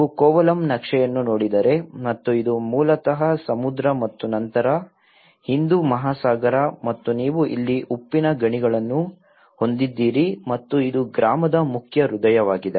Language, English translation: Kannada, If you look at the Kovalam map and this is basically, the sea and then Indian Ocean and you have the salt mines here and this is the main heart of the village